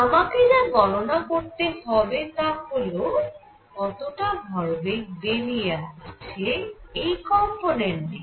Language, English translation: Bengali, So, what I need to calculate is how much momentum is coming in take its component